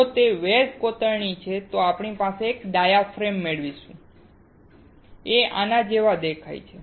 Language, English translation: Gujarati, If it is wet etching, we will obtain a diaphragm which looks like this